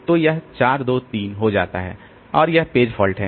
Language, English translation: Hindi, So, it will become 5 1 2 and there is a page fault